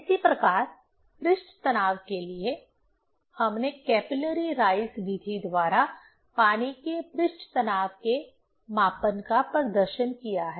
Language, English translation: Hindi, Similarly, for surface tension, we have demonstrated the measurement of surface tension of water by capillary rise method